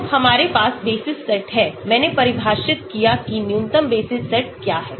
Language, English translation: Hindi, So, we have basis set, I defined what is the minimum basis set